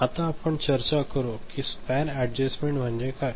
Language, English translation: Marathi, Now, what we discusse is the span adjustment ok